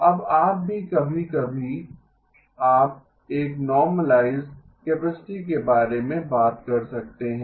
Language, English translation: Hindi, Now you can also sometimes, you talk about a normalized capacity